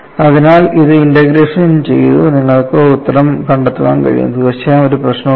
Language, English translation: Malayalam, So, this can be integrated and you can find the answer; absolutely there is no problem